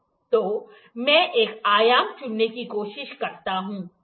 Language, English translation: Hindi, So, let me try to pick one dimension, ok